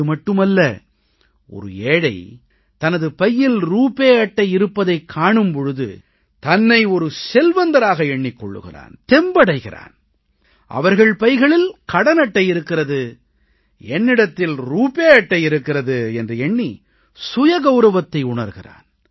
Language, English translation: Tamil, Not just this, when a poor person sees a RuPay Card, in his pocket, he finds himself to be equal to the privileged that if they have a credit card in their pockets, I too have a RuPay Card in mind